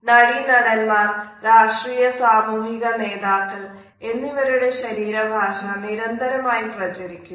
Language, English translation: Malayalam, Body language of actress actresses political and social leaders are disseminated endlessly